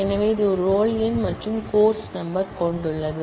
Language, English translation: Tamil, So, it has a roll number and the course number